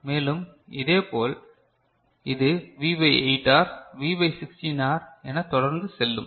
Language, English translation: Tamil, And, similarly it will go on right V by 8R, V by 16R and so on and so forth